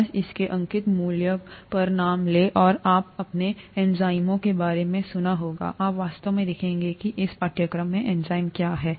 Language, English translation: Hindi, Just take the name on its face value, and now you might have heard of enzymes, you will actually look at what enzymes are in detail in this course